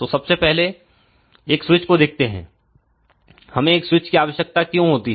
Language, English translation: Hindi, So, first of all let just look at a switch, why we need a switch